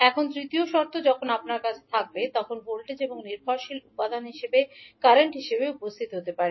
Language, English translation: Bengali, Now, third condition may arise when you have, voltage and current as a dependent component